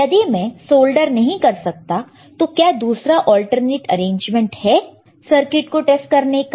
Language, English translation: Hindi, If I cannot solder it why is there an alternative arrangement to test the circuit